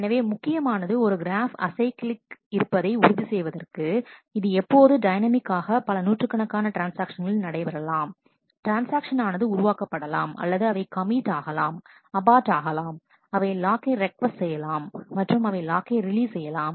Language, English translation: Tamil, So, it is important to ensure that this graph remains acyclic which now this is dynamically happening hundreds of transactions, transactions are getting created, they are getting committed, aborted, they are requesting locks they are releasing locks and so on